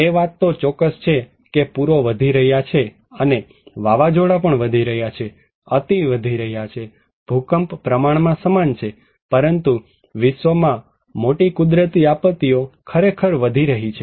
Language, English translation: Gujarati, That is for sure that flood is increasing and windstorm is also increasing has increasing red, earthquake is relatively similar but great natural disaster in the world are really increasing